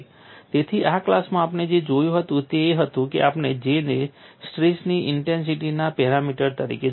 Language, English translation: Gujarati, So, now what we will do is, we will go and see how J can be used as a stress intensity parameter